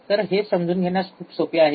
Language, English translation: Marathi, So, this way this very easy to understand